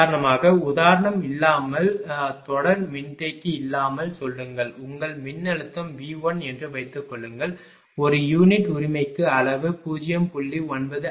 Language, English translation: Tamil, For example, without for example, say without series capacitor right suppose your voltage was V 1 say magnitude was zero 0